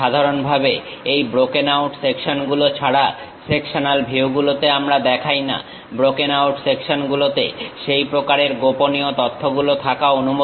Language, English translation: Bengali, Typically in sectional views, we do not show, except for this broken out sections; in broken our sections, it is allowed to have such kind of hidden information